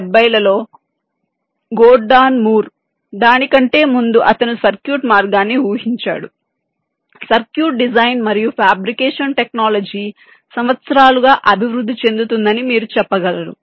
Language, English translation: Telugu, gordon moore in the nineteen seventies, even earlier then, that he predicted the way the circuit, you can say the circuit design and fabrication technology, would evolve over the years